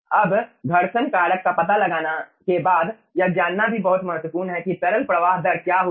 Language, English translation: Hindi, okay, now, ah, after finding out the friction factor, it is also very important to know that what will be the ah liquid flow rate